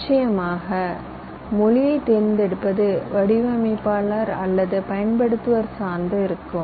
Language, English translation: Tamil, of course, the choices up to the designer or the person uses it